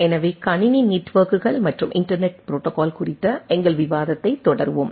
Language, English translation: Tamil, So, we will continue our discussion on Computer Networks and Internet Protocol